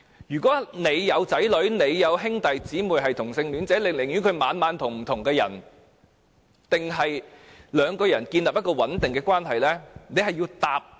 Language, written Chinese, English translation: Cantonese, 如果子女或兄弟姊妹是同性戀者，會寧願他每晚與不同的人一起，還是兩個人建立穩定的關係？, If ones child or sibling is a homosexual would one prefers that he or she spends every night with a different person or builds up a stable relationship with someone?